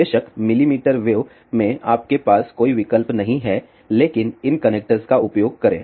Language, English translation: Hindi, Of course, at millimeter wave you have no option, but use these connectors